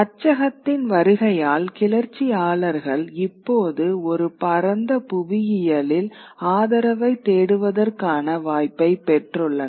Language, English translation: Tamil, But with the coming of print the rebels now have the possibility of reaching out to a wider geography and seeking the support